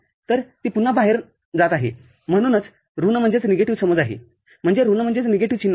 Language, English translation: Marathi, So, again it is going out so that is the say that is why the sense is negative sign is negative